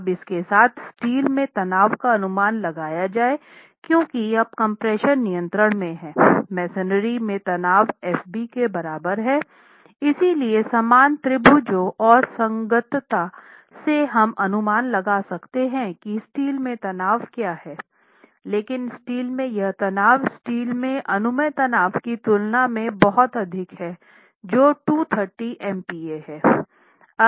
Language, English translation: Hindi, Now with that let us check the stress in steel and the stress in steel because of the stress in steel is estimated because now as the compression controls we have the stress in masonry equal to fb and therefore from similar triangles and compatibility we can estimate what the stress in steel is but this stress in steel works out to be much higher than the permissible stress in steel which is 230 mp